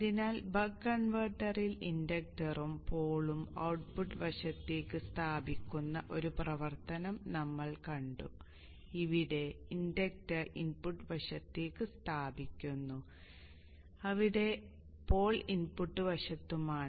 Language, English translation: Malayalam, So we have seen one action in the buck converter where the inductor and the pole are placed towards the output side and here the inductor is placed towards the input side where the pole is on the input side